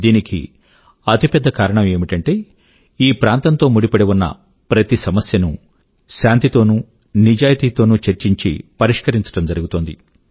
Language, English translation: Telugu, And the biggest reason for that is that every issue of this region is being honestly and peacefully solved through dialogue